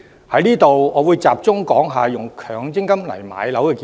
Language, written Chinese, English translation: Cantonese, 就此，我會集中談談動用強積金置業的建議。, In this connection I will focus on discussing the proposal of using MPF for home purchase